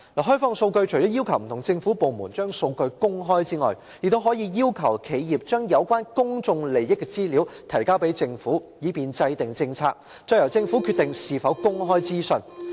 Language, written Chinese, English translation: Cantonese, 《開放數據法》除了要求不同政府部門公開數據外，還可以要求企業將有關公眾利益的資料提交政府，以便制訂政策，再由政府決定是否把資料公開。, Apart from requiring various government departments to open up their data the Open Data Law may also require enterprises to submit information relating to public interest to the Government for formulation of policies . The Government will then decide whether to disclose the information or otherwise